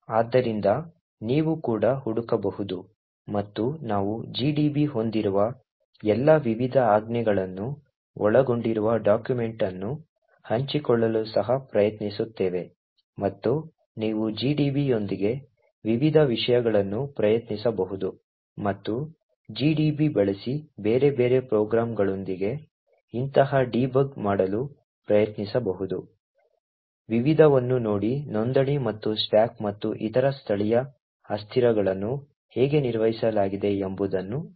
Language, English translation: Kannada, So you could also search and we will also try to share a document which comprises of all the various commands the gdb has and you can actually try various things with gdb and also try to do such debugging with various other programs using gdb, look at the various registers and see how the stack and other local variables are maintained, thank you